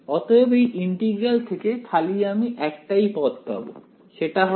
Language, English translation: Bengali, So, only one term is going to survive from this integral and that is going to be